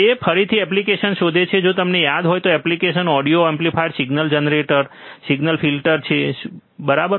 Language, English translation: Gujarati, It finds application again if you remember what are the application, audio amplifier signal generator signal filters, right